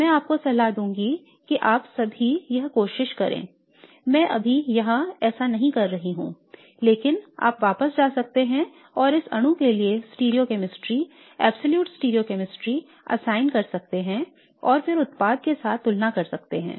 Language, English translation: Hindi, I am not going to do that now but you can go back and assign the stereochemistry absolute stereochemistry for this molecule and then compare it with the product